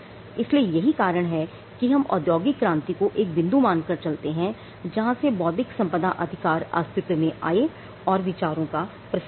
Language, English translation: Hindi, So, the reason why we take the industrial revolution as the point where in intellectual property rights, actually took off is it was tied to idea and it was tied to dissemination of ideas